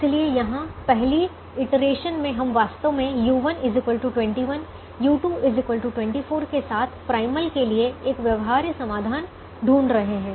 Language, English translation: Hindi, so right here, in the very first iteration, we are actually solving a feasible solution to the primal with u one equal to twenty one, u two equal to twenty four